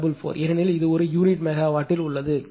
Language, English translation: Tamil, 01544 because this is in per unit megawatt